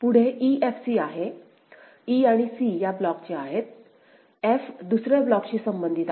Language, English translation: Marathi, Next is e f c; e and c belong to this block, f belongs to another block right